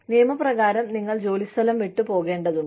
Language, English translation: Malayalam, You are required by law, to leave the place of work